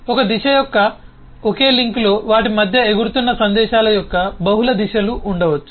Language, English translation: Telugu, on a single link of one direction there could be multiple directions of messages that can fly between them